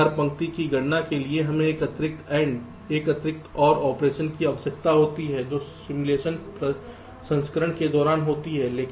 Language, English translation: Hindi, and every line computation we needed one additional and and one additional or operation during the simulation processing